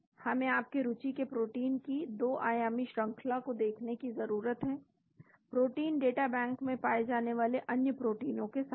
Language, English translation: Hindi, We need to look at the 2 dimension sequences of, the protein of you interest with other proteins found in the protein data bank